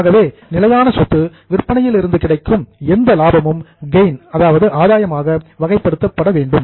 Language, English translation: Tamil, So, any gains from sale of fixed asset would be categorized as a gain